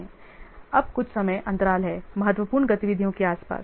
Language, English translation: Hindi, So now some time gaps are there around the critical activities